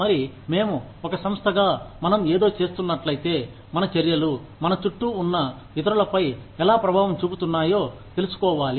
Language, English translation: Telugu, And, we, if as a corporation, we are doing something, we need to be aware of, how our actions are impacting others, around us